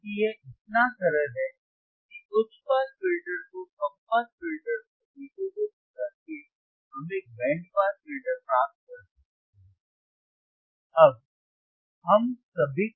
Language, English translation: Hindi, Because it is so simple that by integrating the high pass filter to the low pass filter we can get a band pass filter